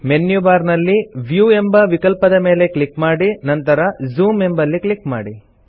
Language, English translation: Kannada, Click on the Viewoption in the menu bar and then click on Zoom